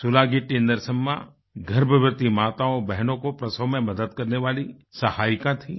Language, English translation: Hindi, SulagittiNarsamma was a midwife, aiding pregnant women during childbirth